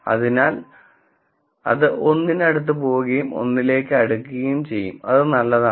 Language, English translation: Malayalam, So, it will go closer and closer to 1 the closer to 1 it is better